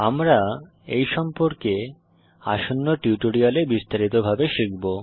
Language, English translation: Bengali, We will learn about these in detail in the coming tutorials